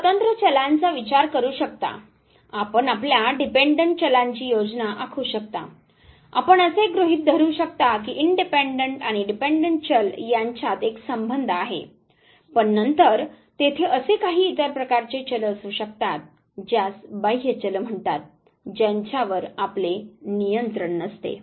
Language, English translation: Marathi, You can think of independent variables, you can plan your dependent variables, you assume that there would be a relationship between the independent and the dependent variable, but then there could be some other types of variables what are called as extraneous variables which you do not have control over